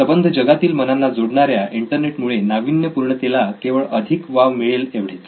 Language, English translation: Marathi, The internet by connecting human minds all over the world, can only accelerate innovation